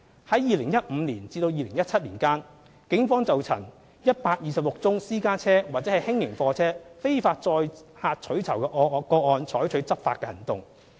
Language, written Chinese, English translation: Cantonese, 在2015年至2017年間，警方曾就126宗私家車或輕型貨車非法載客取酬的個案採取執法行動。, Between 2015 and 2017 the Police have undertaken enforcement actions on 126 cases concerning illegal carriage of passengers for reward by private cars or LGVs